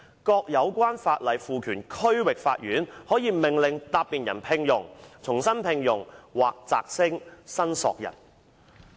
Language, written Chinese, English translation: Cantonese, 各有關法例賦權區域法院可命令答辯人聘用、重新聘用或擢升申索人"。, The Court is empowered under the respective legislation to order among other things the respondent to employ re - employ or promote the claimant